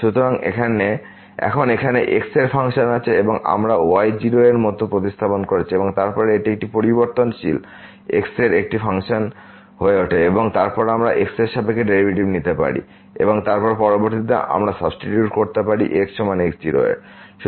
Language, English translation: Bengali, So, now, this is here the function of because we have substituted like in the function and then, this become a function of one variable and then, we can take the derivative with respect to and then later on we can substitute is equal to